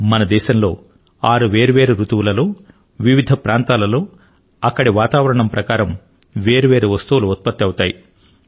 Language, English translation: Telugu, There are six different seasons in our country, different regions produce diverse crops according to the respective climate